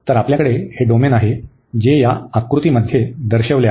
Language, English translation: Marathi, So, we have this domain, which is depicted in this figure